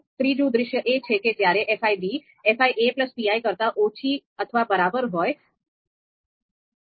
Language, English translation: Gujarati, Now the third scenario is if the fi b is less than or equal to fi a plus qi